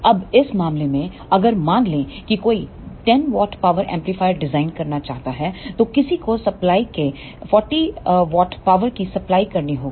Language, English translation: Hindi, Now, in this case if suppose one want to design a 10 watt power amplifier then one has to supply 40 watt of power through supply